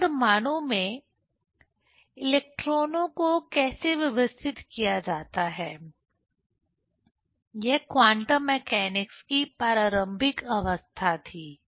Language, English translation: Hindi, So, in atom how the electrons are arranged, that was the preliminary stage of quantum mechanics